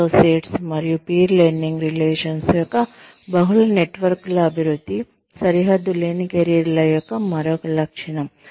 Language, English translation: Telugu, Development of multiple networks of associates, and peer learning relationships, is another characteristic of boundaryless careers